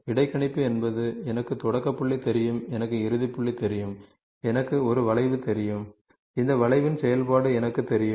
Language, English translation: Tamil, Interpolation is, I know start point, I know end point, I know a curve and I know the function of this curve ok